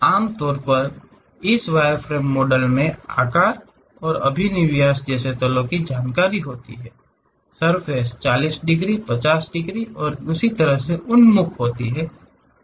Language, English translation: Hindi, Usually this wireframe models contain information on planes such as the size and orientation; something like whether the surface is oriented by 40 degrees, 50 degrees and so on